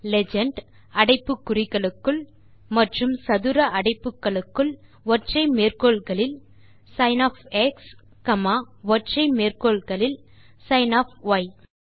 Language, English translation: Tamil, So we can type on the terminal legend within brackets and in square brackets in single quotes sin of x comma another single quotes sin of y